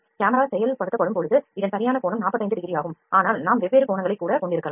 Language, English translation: Tamil, So, but the exact angle or the act perfect angle is 45 degree here; but yes, we can have different angles different angles